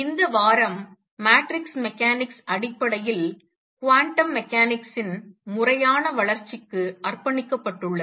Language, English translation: Tamil, And this week has been devoted to the formal development of quantum mechanics in terms of matrix mechanics